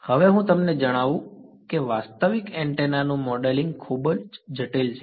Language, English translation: Gujarati, Now, let me on you that modeling realistic antenna is quite complicated